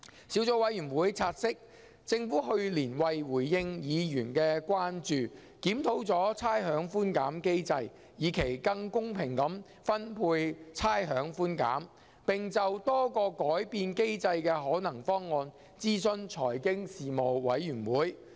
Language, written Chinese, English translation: Cantonese, 小組委員會察悉，政府去年為回應議員的關注，檢討了差餉寬減機制，以期更公平地分配差餉寬減，並就多個改變機制的可能方案諮詢財經事務委員會。, The Subcommittee has noted that last year the Government responded to Members concerns by reviewing the rates concession mechanism to achieve a more equitable distribution of rates concession and consulted the Panel on Financial Affairs the Panel on a number of possible options for modifying the mechanism